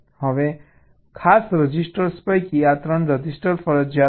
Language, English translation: Gujarati, now, among the special registers, these three registers are mandatory